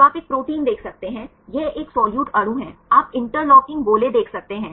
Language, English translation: Hindi, So, you can see a protein this is a solute molecule, you can see the interlocking spheres